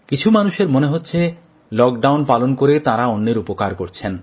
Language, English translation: Bengali, Some may feel that by complying with the lockdown, they are helping others